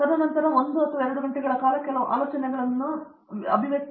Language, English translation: Kannada, And then they spend 1 or 2 hours, get some ideas and go away